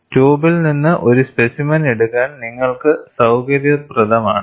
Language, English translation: Malayalam, It is convenient for you to take a specimen from the tube